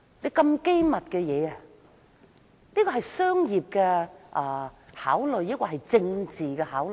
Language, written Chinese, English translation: Cantonese, 所謂機密，是出於商業還是政治考慮？, Was the claim of confidentiality made out of commercial or political considerations?